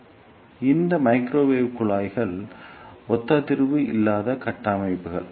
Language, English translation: Tamil, So, these microwave tubes are non resonant structures